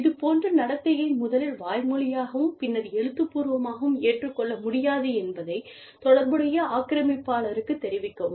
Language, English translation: Tamil, Inform the relational aggressor, that the behavior is not acceptable, first verbally, and then, in writing